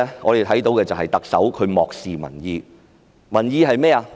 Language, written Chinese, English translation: Cantonese, 我們看到特首漠視民意，民意是甚麼呢？, We see that the Chief Executive disregards the public opinion . What is the public opinion?